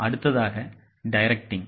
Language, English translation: Tamil, The next is directing